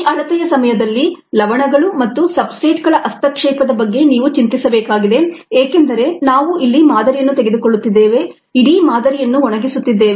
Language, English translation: Kannada, so for you need to worry about in during this measurement, interference by salts and substrates, also because your we are taking a sample here, drying out the whole thing